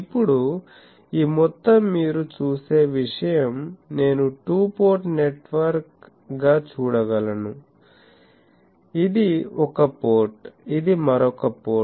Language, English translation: Telugu, Now, this whole thing you see I can view as a two port network; this is one port, this is another port